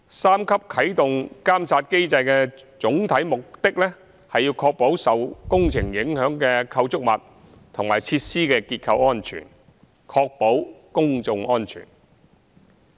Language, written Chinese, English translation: Cantonese, 三級啟動監察機制的總體目的，是要確保受工程影響的構築物及設施的結構安全，亦要確保公眾安全。, The overall objective of the three - tier activation mechanism is to ensure structural safety of the structures and facilities affected by the relevant works as well as safeguard public safety